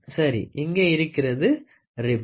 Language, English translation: Tamil, So, where are the ribs